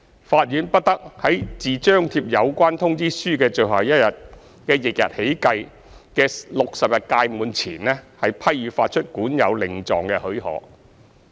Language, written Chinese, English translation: Cantonese, 法院不得在自張貼有關通知書的最後一日的翌日起計的60日屆滿前，批予發出管有令狀的許可。, Leave to issue a writ of possession to enforce the order is not to be granted by the court before the expiry of a period of 60 days beginning on the day immediately after the last day on which the notice is affixed